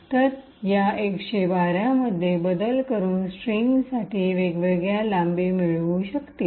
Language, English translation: Marathi, So, by varying this 112, we could actually get different lengths for the string